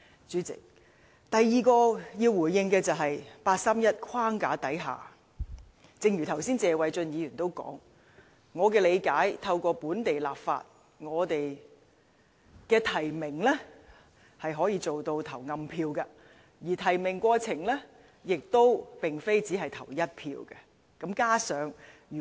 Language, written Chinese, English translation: Cantonese, 主席，第二點要回應的，是據我理解，正如剛才謝偉俊議員所說，在八三一框架下，透過本地立法，提名是可以做到投暗票的，而提名過程並非只限投一票。, President the second point I would like to make in response is that as I understand it and as Mr Paul TSE mentioned just now under the framework of the 31 August Decision it is possible to establish through local legislation a secret - ballot nomination process whereby each nominating committee member can cast more than one vote